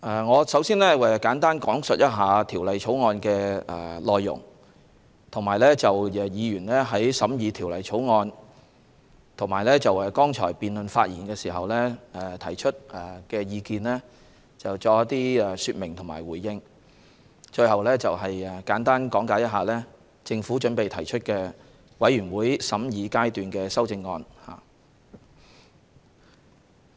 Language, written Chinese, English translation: Cantonese, 我首先簡單講述《條例草案》的內容，並就議員在法案委員會審議及在剛才的辯論發言時提出的意見作出一些說明和回應，最後簡單講解政府準備提出的全體委員會審議階段修正案。, I will first speak briefly on the content of the Bill and give some explanations and responses to the views expressed by Members during the scrutiny by the Bills Committee and the debate just now . Finally I will briefly explain the Committee stage amendment to be proposed by the Government . Thirty - five Members in total have spoken during the resumed Second Reading debate on the Bill